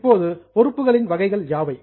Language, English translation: Tamil, Now, what are the types of liabilities